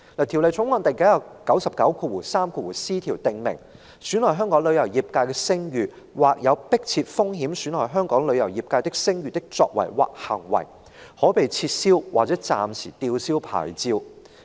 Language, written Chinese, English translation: Cantonese, 《條例草案》第 993c 條訂明，損害香港旅遊業界的聲譽，或有迫切風險損害香港旅遊業界的聲譽的作為或行為，可被撤銷或暫時吊銷牌照。, Clause 993c of the Bill stipulates that acts or conducts that will bring or poses an imminent risk of bringing the travel industry of Hong Kong into disrepute can lead to suspension or revocation of a licence